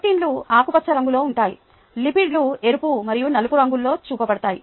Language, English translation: Telugu, proteins are the ones in green, lipids are the ones that are shown in red and black